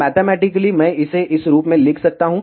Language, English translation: Hindi, Mathematically, I can write it in this form